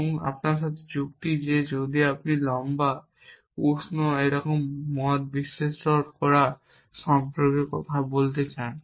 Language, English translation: Bengali, And reason with them that if you want to talk about properties like tall warm